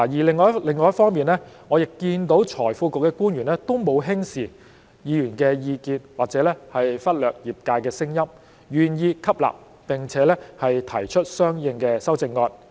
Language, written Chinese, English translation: Cantonese, 另一方面，我亦看到財庫局的官員也沒有輕視議員的意見，或者忽略業界的聲音，願意吸納並且提出相應的修正案。, On the other hand I am also aware that the officials of FSTB have not taken Members view lightly or ignored the voices of the profession but they are willing to adopt them and propose amendments accordingly